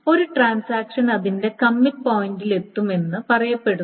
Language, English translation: Malayalam, And then a transaction is said to reach its commit point